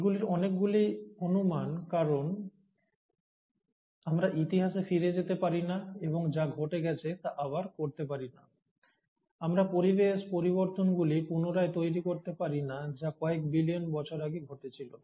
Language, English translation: Bengali, Well, a lot of these are speculations because we cannot go back in history and try to redo what has been done, and we can't recreate a lot of environmental changes which must have happened a few billion years ago